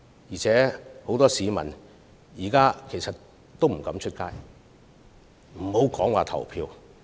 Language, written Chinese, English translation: Cantonese, 而且，很多市民現在不敢外出，遑論前往投票。, Besides many people do not dare to go out these days to speak less of going out to cast their votes